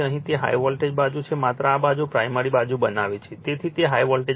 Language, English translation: Gujarati, Here it is high voltage side just this is in this side your making primary side